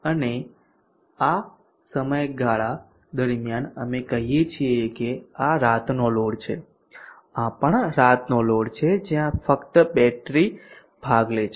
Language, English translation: Gujarati, And during this period we say this is night load this is also night load where only the battery is participating